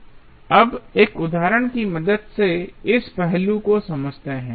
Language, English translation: Hindi, Now, let us understand this aspect with the help of an example